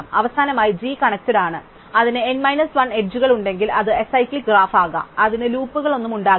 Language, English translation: Malayalam, And finally, if G is connected and it has n minus 1 edges, then it can be acyclic graph, it cannot have any graphs